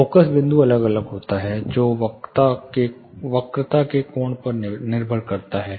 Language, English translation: Hindi, The point focus point varies, depending on the angle of curvature